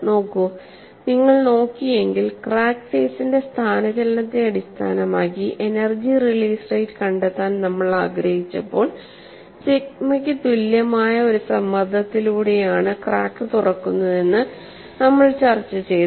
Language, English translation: Malayalam, See, if you had looked at, when we wanted to find out energy release rate based on displacement of crack faces, we had a discussion that the crack is opened by a pressure which is equal to sigma; and we said some expression for the value of K